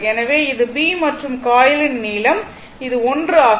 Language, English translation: Tamil, So, this is B right and length of the coil, this is the length of the coil, this is your l, right